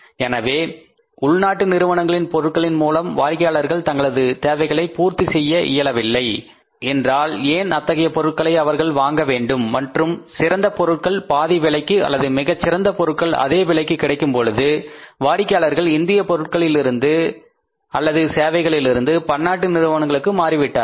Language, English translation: Tamil, So, why people should keep on buying the product from the existing company if it is not able to serve the needs of the people and when efficient product is available at half of the price or more efficient product is available at the same price so people started shifting from the domestic or Indian companies production services to the multinational companies